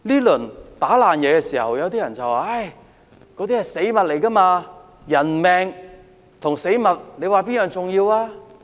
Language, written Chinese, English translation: Cantonese, 有些人說，被打爛的東西是死物，人命和死物，哪一樣更重要？, Some people say the things being vandalized are dead objects and ask which human lives or dead objects is more important